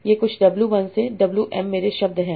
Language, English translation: Hindi, So, my words W1 to some WM